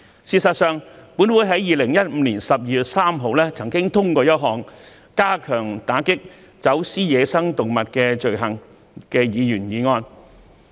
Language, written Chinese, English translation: Cantonese, 事實上，本會在2015年12月3日曾通過一項"加強打擊走私野生動物的罪行"的議員議案。, As a matter of fact a motion on Strengthening the combat against the crime of wildlife smuggling was passed by this Council on 3 December 2015